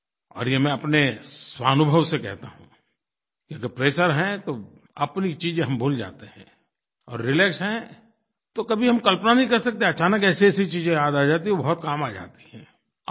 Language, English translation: Hindi, And it is by my own personal experience that I'm telling you that if you're under pressure then you forget even your own things but if you are relaxed, then you can't even imagine the kind of things you are able to remember, and these become extremely useful